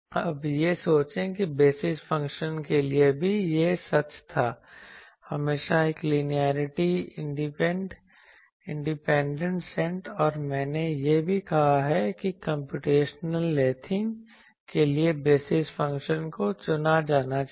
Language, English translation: Hindi, Now, think the same was true for the basis functions also basis functions always a linearly independent set and also I said that basis function should be chosen to have computational lathing